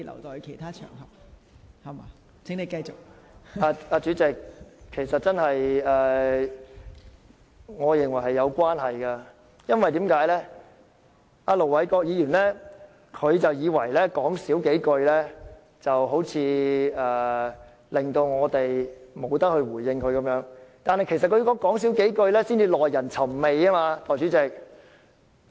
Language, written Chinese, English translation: Cantonese, 代理主席，我認為是有關係的，因為盧偉國議員似乎以為少說幾句便可令我們無法回應他，但他所說的"少說幾句"其實才是耐人尋味。, Deputy President I believe what I am saying is relevant because Ir Dr LO Wai - kwok seemed to think that we could not respond if he made fewer comments